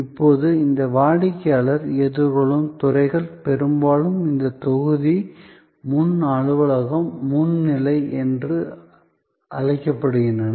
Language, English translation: Tamil, Now, these customer facing departments are often called in this module, the front office, the front stage